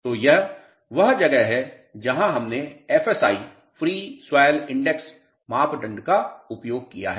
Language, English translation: Hindi, So, this is where we have used FSI Free Swell Index property